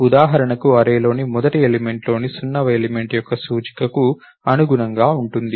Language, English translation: Telugu, For example, corresponding to the index of the 0th element in first element in the array